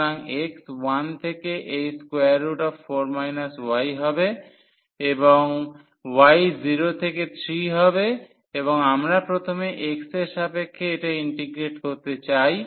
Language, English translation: Bengali, So, x from 1 to this is square root 4 minus y and y is 0 to 3 and we want to integrate this with respect to x first